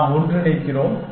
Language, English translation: Tamil, We keep merging